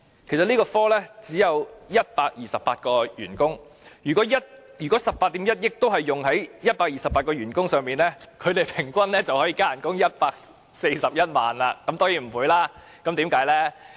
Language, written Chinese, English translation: Cantonese, 這個科只有128名員工，如果18億 1,000 萬元全用在128名員工的薪酬調整，他們平均加薪141萬元，當然不會這樣，究竟是怎樣呢？, The Branch has only 128 staff members . If this 1.81 billion is used entirely for the pay adjustment of 128 staff members each of them will receive an average increment of 1,410,000 . Of course it can never be the case then what is it about?